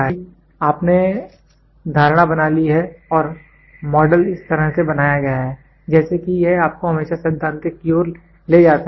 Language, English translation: Hindi, Because you have made assumptions and the model is made in such a fashion, such that it always leads you to the theoretical one